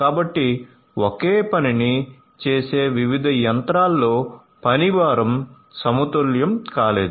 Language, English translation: Telugu, So, the work load across the different machines doing the same thing was not balanced